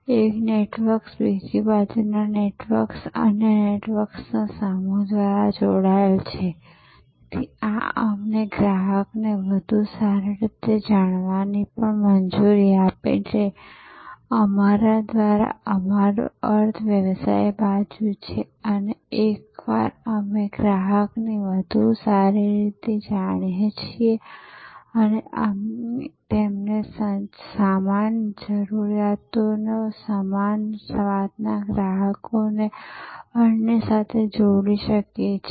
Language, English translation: Gujarati, Networks on one side, networks on the other side being connected through another set of networks, so these also allows us to know the customer's better, by us we mean the business side and once we know the customer's better, we can connect them to other customers of similar tastes of similar requirements